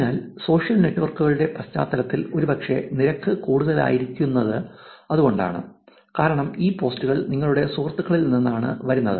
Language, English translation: Malayalam, So, that is the probably why this rate is actually high in the context of social networks because it is these posts are coming from your friends